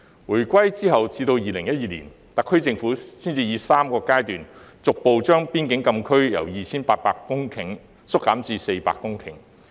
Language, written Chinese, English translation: Cantonese, 回歸後至2012年，特區政府才以3個階段，逐步將邊境禁區由約 2,800 公頃縮減至約400公頃。, It was not until 2012 after the return of sovereignty that the SAR Government gradually reduced the land coverage of the frontier closed area from about 2 800 hectares to about 400 hectares in three phases